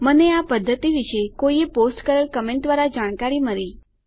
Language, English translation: Gujarati, I was informed about this method through a comment someone posted